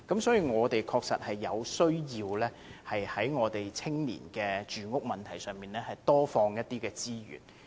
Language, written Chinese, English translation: Cantonese, 所以，我們確實有需要在青年住屋問題上投放更多資源。, Therefore it is indeed necessary to commit more resources to addressing the housing problem of young people